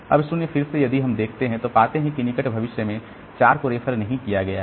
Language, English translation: Hindi, Now 0 again if we look through then you see 4 is not referred to in the near future